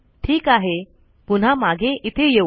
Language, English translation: Marathi, Okay lets come back here